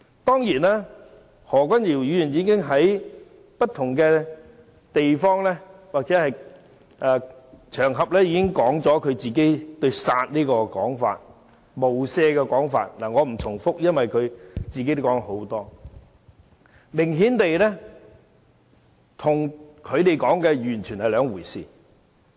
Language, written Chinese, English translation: Cantonese, 當然，何君堯議員已經在不同場合說明自己"殺無赦"的說法，我不再重複，因為他本人已說了很多次，明顯跟他們說的完全是兩回事。, Of course Dr Junius HO has explained what he meant by his kill without mercy remark on various occasions . I will not repeat as he has said that many times but it is obvious that what they interpreted was completely different